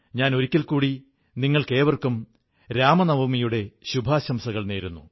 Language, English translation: Malayalam, Once again, my best wishes to all of you on the occasion of Ramnavami